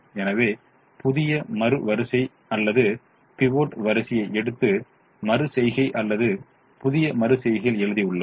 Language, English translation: Tamil, so we have written the new second row are the pivot row in the next iteration or the new iteration